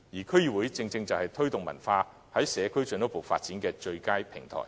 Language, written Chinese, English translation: Cantonese, 區議會正正就是在社區進一步推動文化藝術的最佳平台。, DCs serve as the best platform for further promotion of arts and culture in the communities